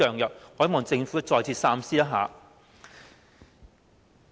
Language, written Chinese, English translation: Cantonese, 我希望政府再次考慮。, I hope that the Government will reconsider this issue